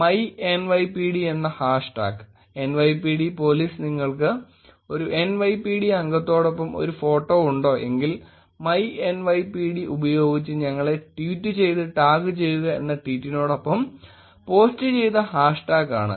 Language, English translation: Malayalam, So, hash tag myNYPD, is the hash tag that NYPD police posted saying with this tweet ‘do you have a photo with a member of NYPD, tweet us and tag it, with myNYPD